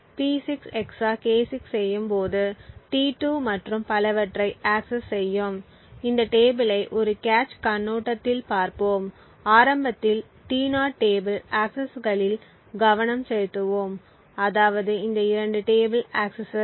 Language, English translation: Tamil, T2 accesses P6 XOR K6 and so on, so let us look at these tables look ups from a cache perspective, so initially let us just focus on this T0 table accesses that is these 2 table accesses